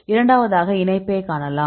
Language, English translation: Tamil, Then second we see the connectivity